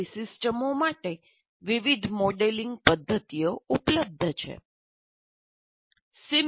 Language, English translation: Gujarati, There are modeling methods available for such systems